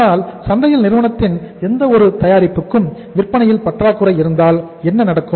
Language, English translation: Tamil, But if there is a say lack of sales for any company’s product in the market in that case what will happen